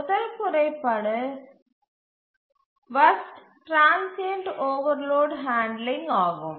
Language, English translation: Tamil, So, the first point is poor transient overloading